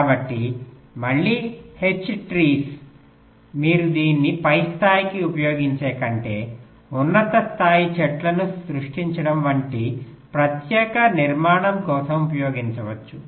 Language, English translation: Telugu, so again, h trees, ah, just like h trees, you can use it for special structure, like creating a top level tree than feeding it to the next level, like that you can use this also